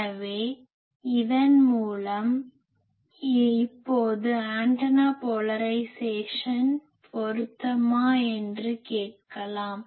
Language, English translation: Tamil, So, by that so now we can ask that if the antenna is polarisation match